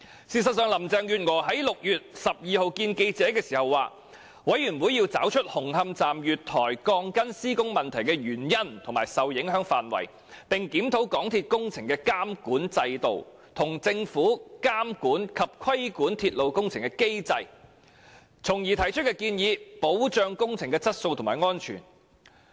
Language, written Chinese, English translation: Cantonese, 事實上，林鄭月娥在6月12日會見記者時表示，獨立調查委員會要找出紅磡站月台鋼筋施工問題的原因和受影響範圍，並檢討港鐵公司的工程監管制度，以及政府監管及規管鐵路工程的機制，從而提出建議，保障工程質素和安全。, In fact Carrie LAM indicated at a media session on 12 June that the independent Commission of Inquiry would ascertain the cause and extent of the problem with the steel reinforcement fixing works at the platform of Hung Hom Station and review MTRCLs construction monitoring system as well as the Governments mechanism for monitoring and regulating railway projects with a view to making recommendations for ensuring construction quality and safety